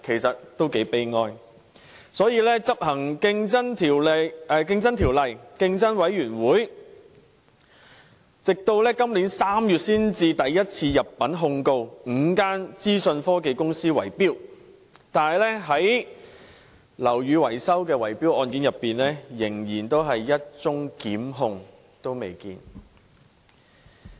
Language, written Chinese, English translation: Cantonese, 所以，執行《條例》的競爭事務委員會直至今年3月才首次入稟控告5間資訊科技公司圍標；但在樓宇維修的圍標案件中，仍然未見一宗提出檢控的個案。, Therefore it was only in March this year that the Competition Commission responsible for enforcing the Ordinance filed for the first time a case in court to sue five information technology companies for bid - rigging but as for cases of bid - rigging relating to building maintenance not one single case of prosecution has been seen